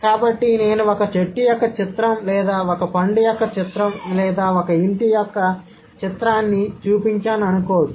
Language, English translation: Telugu, So, I can think, okay, the picture of a tree or the picture of a fruit or a picture of a house